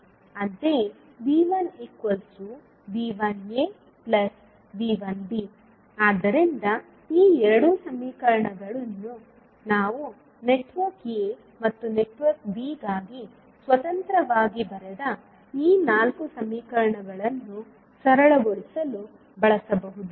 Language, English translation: Kannada, Similarly, V 1 can be written as V 1a plus V 1b so these two equations we can use to simplify these four equations which we wrote independently for network a and network b